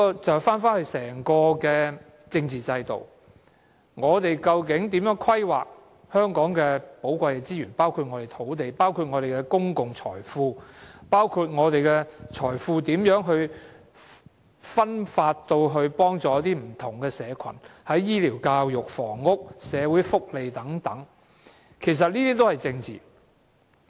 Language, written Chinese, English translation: Cantonese, 這便回到整個政治制度，我們究竟如何規劃香港的寶貴資源，包括土地、公共財富，如何把財富分發至不同社群，在醫療、教育、房屋和社會福利等，其實這些都是政治。, We can trace the problem back to the political system to the way our precious resources including land and public wealth are planned and to the way wealth is distributed among different social groups . Politics cover health care education housing and social welfare etc